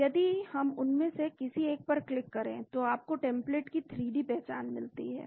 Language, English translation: Hindi, So if we click on any one of them, you get a 3D structure of your template